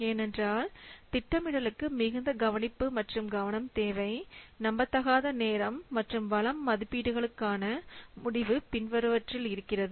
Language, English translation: Tamil, Because project planning requires utmost care and attention because what commitments to unrealistic time and resource estimates result in the following